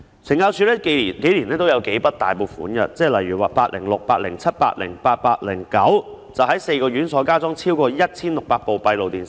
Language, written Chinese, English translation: Cantonese, 懲教署近年來也有數筆大額撥款，例如項目806、807、808和 809， 在4個院所加裝超過 1,600 部閉路電視。, In recent years CSD has received several provisions of large amounts . Examples are items 806 807 808 and 809 installing more than 1 600 additional CCTV cameras in four institutions